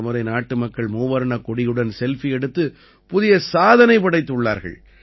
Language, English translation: Tamil, This time the countrymen have created a new record in posting Selfie with the tricolor